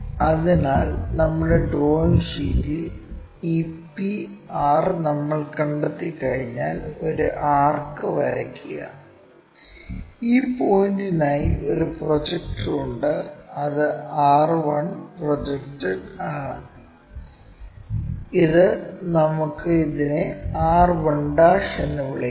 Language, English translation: Malayalam, So, on our drawing sheet once we have located this p r locate, draw an arc have a projector for this point, this is r 1 project that let us call this one r 1' and join p r', p' r 1'